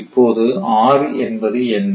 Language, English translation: Tamil, Now what is p